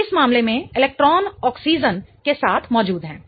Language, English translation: Hindi, So, in this case the electrons are present with oxygen